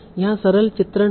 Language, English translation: Hindi, So here is a simple illustration